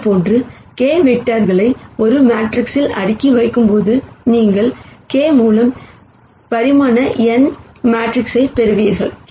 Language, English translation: Tamil, And when you stack k vectors like this in a matrix, then you would get a matrix of dimension n by k